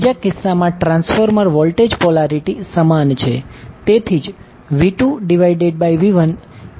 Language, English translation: Gujarati, In the second case the transformer voltage polarity is same that is why V2 by V1 is equal to N2 by N1